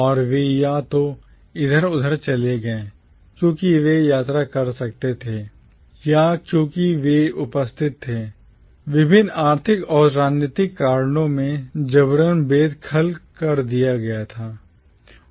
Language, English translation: Hindi, And they moved around either because they could afford to travel or because they were displaced, forcibly evicted due to various economic and political reasons